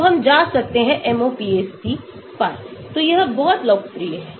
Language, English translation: Hindi, so we can go to MOPAC , so this is a very popular